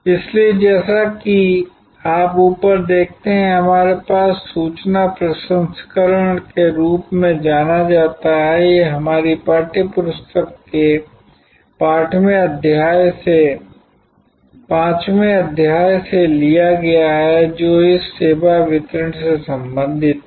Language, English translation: Hindi, So, as you see on top of we have what is known as information processing, this is taken from the 5'th chapter of our textbook, which relates to this service delivery